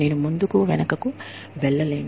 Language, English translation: Telugu, I cannot go, back and forth